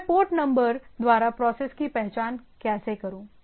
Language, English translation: Hindi, How do I identify the process is by the port number